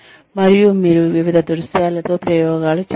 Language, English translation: Telugu, And, you experiment with various scenarios